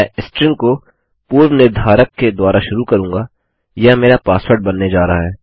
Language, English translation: Hindi, Ill start by predefining a string thats going to be my password